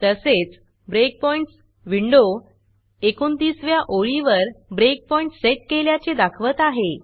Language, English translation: Marathi, There is also a Breakpoints window that tells you that a breakpoint has been set on line number 29